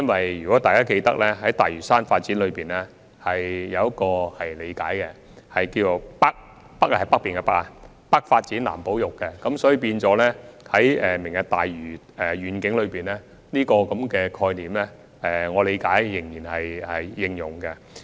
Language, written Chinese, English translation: Cantonese, 相信大家也記得，關於大嶼山的發展有一個理解，那便是"北發展、南保育"，而根據我的理解，就"明日大嶼願景"，這個概念仍然適用。, Members may recall that with regard to the development of Lantau Island a direction of Development in the North Conservation for the South has been mapped out and to my understanding the concept is also applicable to the Lantau Tomorrow Vision